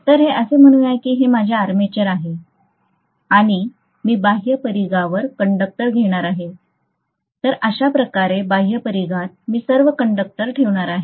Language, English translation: Marathi, So let us say this is my armature, okay and I am going to have the conductors at the outer periphery, so I am going to have conductors all over in the outer periphery like this, right